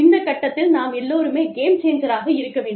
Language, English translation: Tamil, We all need to be, game changers, at this point